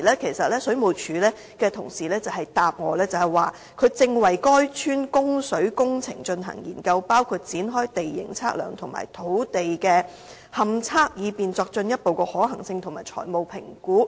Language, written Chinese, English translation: Cantonese, 當時，水務署同事回答我說正為該村的供水工程進行研究，包括展開地形測量及土地勘測，以便作進一步的可行性及財務評估。, At the time colleagues from WSD told me in response that they were conducting a study on water supply works in the village by among others launching a topographic survey and ground investigation for further feasibility and financial assessments